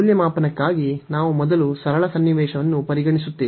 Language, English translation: Kannada, So, for the evaluation, we have we will consider first the a simple scenario